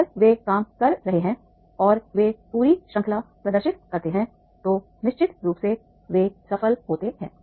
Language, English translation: Hindi, If they are working in a demonstrate the full range then definitely they are successful